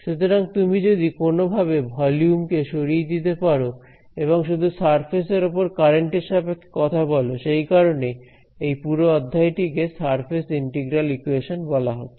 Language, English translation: Bengali, So, somehow what we have manage to do if you have manage to remove the volumes and talk only in terms of currents on the surface; that is why these what that is why the whole module is called surface integral equations